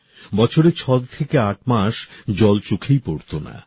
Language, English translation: Bengali, 6 to 8 months a year, no water was even visible there